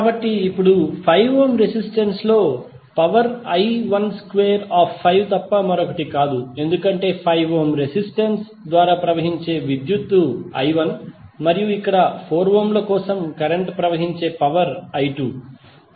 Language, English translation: Telugu, So, now power in 5 ohm resistor is nothing but I 1 square into 5 because if you see the current flowing through 5 ohm resistance is simply I 1 and here for 4 ohm the power the current flowing is I 2